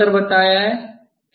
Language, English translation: Hindi, what is the difference I told